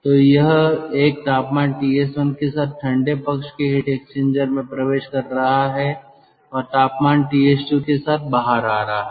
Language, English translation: Hindi, so it is entering the cold side heat exchanger with a temperature ts one and coming out with a temperature ts two from the cold side heat exchanger